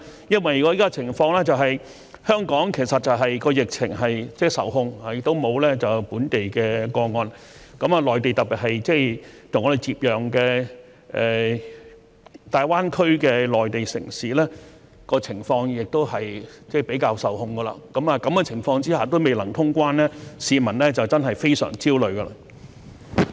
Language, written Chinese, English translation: Cantonese, 因為現時的情況是香港其實疫情受控，亦沒有本地個案，而內地特別是跟我們接壤的大灣區的內地城市，情況亦控制得較好，在這個情況下也未能通關，市民真的非常焦慮。, I ask this question because the public is really very anxious about the failure to resume normal traveller clearance even under the current circumstances where the epidemic is actually under control with no local cases in Hong Kong whereas the situation in the Mainland especially in the Mainland city bordering us in the Greater Bay Area is also under quite good control